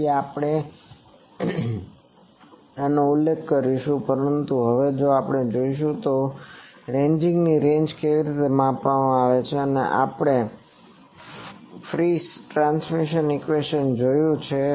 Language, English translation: Gujarati, So, we will be referring to this, but now we will see that how the ranging ranges measured we have seen Friis transmission equation